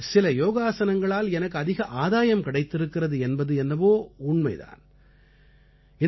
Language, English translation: Tamil, I do concede however, that some yogaasanaas have greatly benefited me